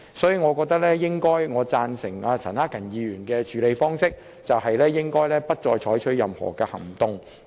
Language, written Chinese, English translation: Cantonese, 所以，我贊成陳克勤議員建議的處理方式，即不再就這項譴責議案採取任何行動。, Therefore I agree with the approach proposed by Mr CHAN Hak - kan that no further action be taken on this censure motion